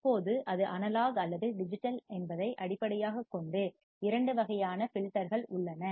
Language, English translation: Tamil, Now, there are two types of filter based on whether it is analog or whether it is digital